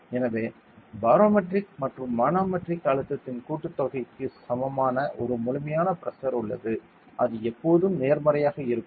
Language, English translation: Tamil, So, there is an absolute pressure that is equivalent to the sum of barometric and manometric pressure and which will always be positive ok